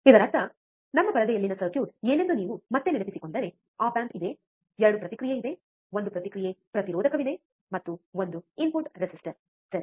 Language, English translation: Kannada, That means that if you if you again remember what was the circuit on our screen, it was that there is a op amp, there is 2 feedback, there is one feedback resistor, and one input resistor ok